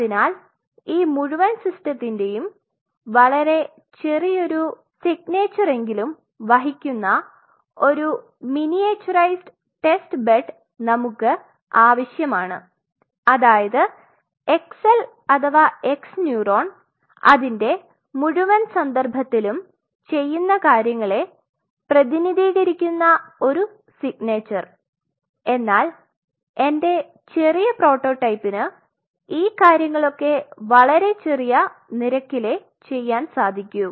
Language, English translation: Malayalam, So, in a way we should have a miniaturized testbed which carries mark my word which carries the minimum signature bare minimum signature of the whole system it is like representative signature that say xl or x neuron does these things in its whole total context, but here I have a small prototype which can perform these rates limiting bare minimum functions